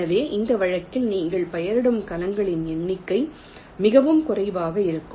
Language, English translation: Tamil, so number of cells you are labeling in this case will be much less